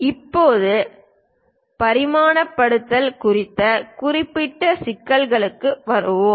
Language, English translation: Tamil, Now, we will come to special issues on dimensioning